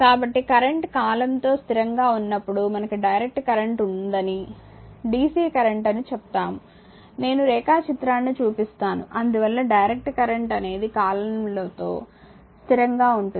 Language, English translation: Telugu, So, when a current is constant with time right, we say that we have direct current that is dc current, I will show you the diagram thus a direct current is a current that remain constant with time